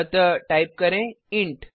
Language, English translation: Hindi, So type int